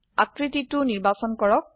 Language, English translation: Assamese, Select the shape